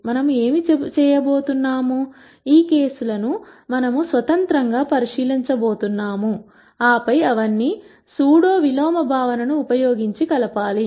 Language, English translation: Telugu, What we are going to do, is we are going to look into these cases independently, and then combine all of them using the concept of pseudo inverse